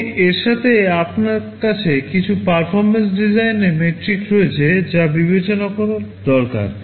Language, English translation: Bengali, And in addition you have some performance design metrics that also need to be considered